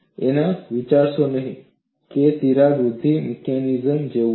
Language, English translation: Gujarati, Do not think that it is like a crack growth mechanism